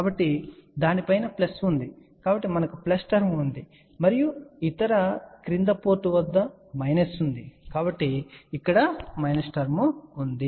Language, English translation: Telugu, So, above it was plus so we have a plus term and down below when the other port it was a minus, so this is where the minus term is